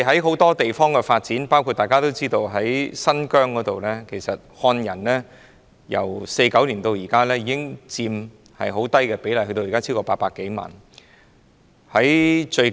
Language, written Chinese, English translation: Cantonese, 很多地方，包括大家所知的新疆，漢人人口由1949年原先佔很低的比例增加至現時超過800多萬人。, In many places including Xinjiang which we all know the proportion of Han Chinese population was initially very low in 1949 but it has increased to over 8 million these days